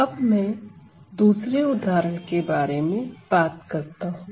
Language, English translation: Hindi, So, next I am going to talk about another case another example